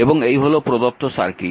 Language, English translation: Bengali, So, this is the equivalent circuit